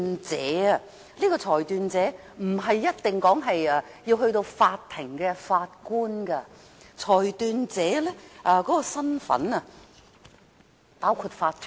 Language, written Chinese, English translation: Cantonese, 這位裁斷者不一定是法庭的法官，裁斷者的身份包括法團。, A decision maker is not necessarily a court judge as a body corporate can also take up such a role